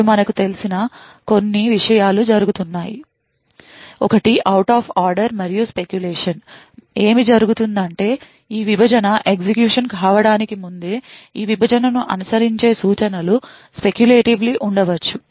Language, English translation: Telugu, Now as we know there are a couple of things which are going on, one is the out of order and also the speculation and what happens is that even before this divide gets executed it may be likely that the instructions that follow this divide may be speculatively executed